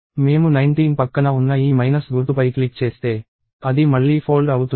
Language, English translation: Telugu, If I click on this minus symbol next to 19, it again folded